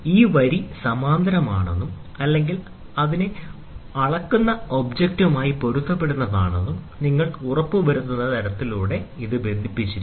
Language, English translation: Malayalam, And this in turn is clamped by this, such that you make sure that this line is in parallel or it is in coincidence with the measuring object